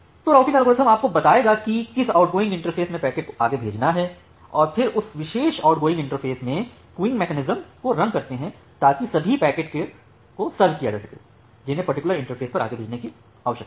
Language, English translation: Hindi, So, the routing algorithm will take tell you that in which outgoing interface the packet need to be forwarded to and then in that particular outgoing interface you run the queuing mechanism to serve the packets to serve all the packets, which need to be forwarded to that particular interface